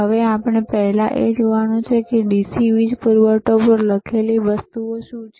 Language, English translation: Gujarati, Now, we have to first see what are the things written on this DC power supply are right